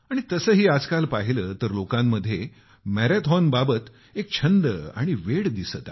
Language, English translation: Marathi, Anyway, at present, people have adopted and found a passion for the marathon